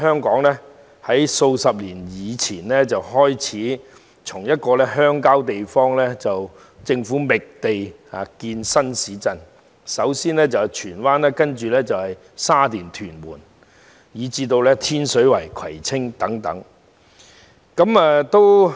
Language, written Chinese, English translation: Cantonese, 然而，自數十年前開始，政府在鄉郊覓地建設新市鎮，首先是荃灣，接着是沙田、屯門，以至天水圍、葵青等地。, However the Government started to look for potential sites in rural areas for developing new towns decades ago first in Tsuen Wan and then in Sha Tin Tuen Mun and even Tin Shui Wai Kwai Tsing etc